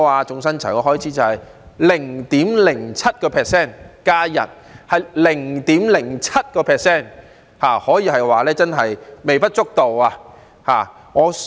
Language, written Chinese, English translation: Cantonese, 總薪酬開支是 0.07%， 增加1天是 0.07%， 可以說是微不足道。, The total wage cost will be increased by 0.07 % for an additional holiday which is negligible